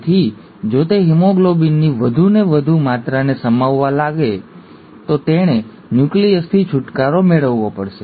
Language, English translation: Gujarati, So if it wants to accommodate more and more amount of haemoglobin, it has to get rid of the nucleus